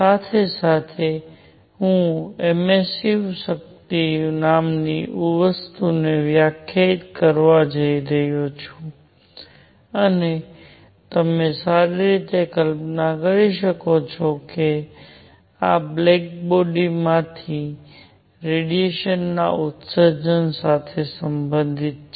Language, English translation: Gujarati, Simultaneously, I am going to define something called the emissive power and as you can well imagine, this is related to the emission of radiation from a body